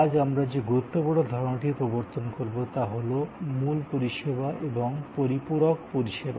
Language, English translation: Bengali, The important concept that we will introduce today is this concept of Core Service and Supplementary Services